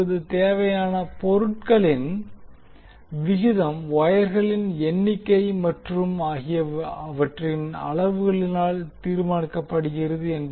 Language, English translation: Tamil, Now the ratio of material required is determined by the number of wires and their volumes